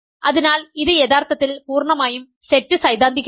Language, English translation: Malayalam, So, this is actually completely set theoretic